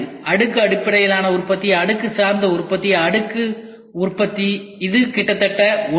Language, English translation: Tamil, Layered Based Manufacturing, Layered Oriented Manufacturing, Layer Manufacturing it is almost the same